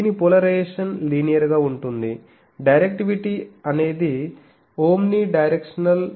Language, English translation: Telugu, Its polarization is linear, directivity is omnidirectional